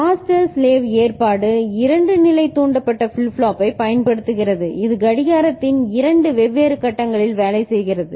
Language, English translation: Tamil, Master slave arrangement uses two level triggered flip flop which work in two different phases of the clock